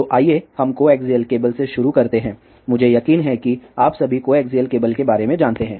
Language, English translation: Hindi, So, let us start with the coaxial cable, I am sure all of you are aware about coaxial cable